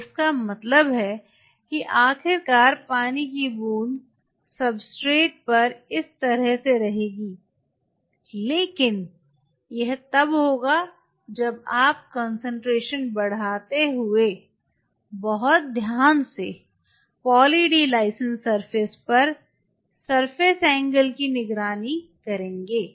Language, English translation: Hindi, So, it means eventually the droplet us of will be more like this on the substrate, but then that will only happen when you very carefully monitor the surface angle on Poly D Lysine surface by giving concentration